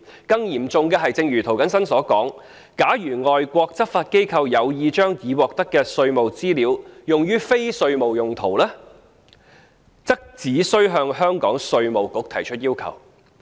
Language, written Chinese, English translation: Cantonese, 更嚴重的是，正如涂謹申議員所說，假如外國執法機構有意將已獲得的稅務資料用於非稅務用途，只須向香港稅務局提出要求。, More seriously as Mr James TO has suggested foreign law enforcement agencies with the intention of using the tax information obtained for non - tax related purposes need only advance their requests to IRD of Hong Kong